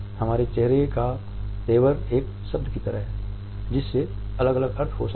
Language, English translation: Hindi, A frown on our face is like a single word, which can have different meanings